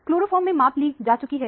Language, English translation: Hindi, Measurement is made in chloroform